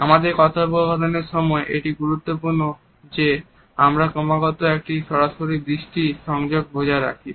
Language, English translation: Bengali, During our conversation it is important that we maintain continuously a direct eye contact